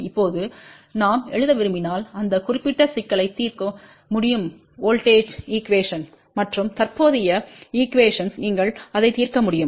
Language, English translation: Tamil, Now, this particular problem can be solved if we want to write voltage equation and current equation you can solve that